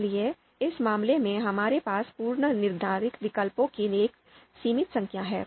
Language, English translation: Hindi, So therefore, we will have limited number of predetermined alternatives